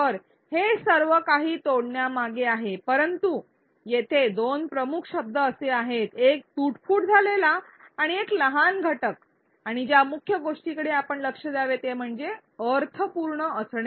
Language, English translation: Marathi, So, that is all behind chunking, but the 2 key words here were the 3 key words: one is broken up one is smaller units and the main thing that we have to pay attention to is meaningful